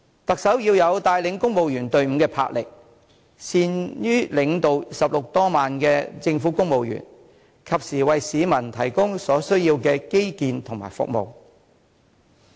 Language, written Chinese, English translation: Cantonese, 特首要有帶領公務員隊伍的魄力，善於領導16萬名政府公務員，及時為市民提供所需要的基建和服務。, The Chief Executive must have the enterprise and skill to lead the civil service team of 160 000 people so as to provide the public with the infrastructure facilities and services they need